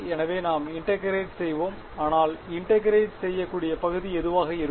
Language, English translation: Tamil, So, let us integrate, but what should be the region of integration